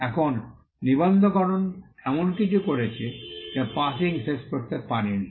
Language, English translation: Bengali, Now, registration did something which passing off could not do